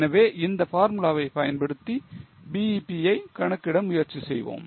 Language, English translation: Tamil, So, using that formula, let us try to compute the BP